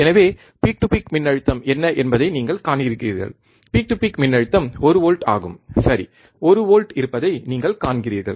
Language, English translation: Tamil, So, you see what is the peak to peak voltage, peak to peak voltage is one volts, right, you see there is a 1 volt